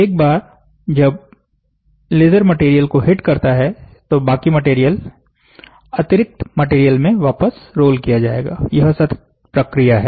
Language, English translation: Hindi, So, once the laser engraves or laser hits, heats the material that the rest of the material will be rolled back into the excess material; so it is a continuous process